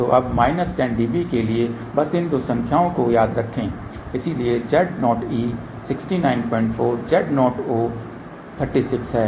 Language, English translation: Hindi, So, now, for minus 10 db just remember these two number , so Z o e is 69